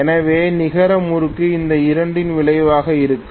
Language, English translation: Tamil, So the net torque will be the resultant of these two